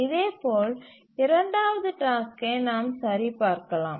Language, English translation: Tamil, Similarly we can check for the second task